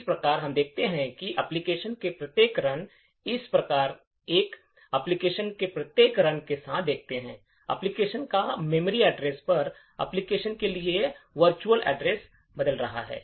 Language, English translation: Hindi, Thus we see that each run of the application thus we see with each run of the application, the memory address of the application, the virtual address map for that application is changing